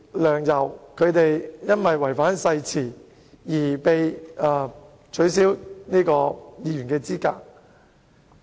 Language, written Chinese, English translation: Cantonese, 梁、游二人由於違反誓言，因而被取消議員資格。, Sixtus LEUNG and YAU Wai - ching were disqualified from office due to breach of the oath